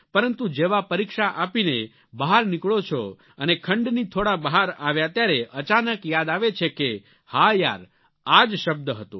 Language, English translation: Gujarati, But as soon as you finish the examination and exit from the examination hall, suddenly you recollect that very word